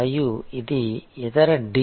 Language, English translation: Telugu, And this is the other D